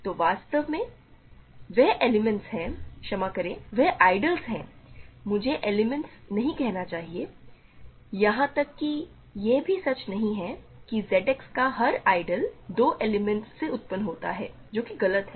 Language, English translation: Hindi, So in fact, there are elements there are ideals sorry I should not say element, every it is not true that every ideal of Z X is generated by 2 elements that is false